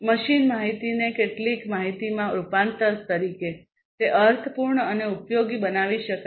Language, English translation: Gujarati, As the conversion of machine data to some information, that can be made meaningful and useful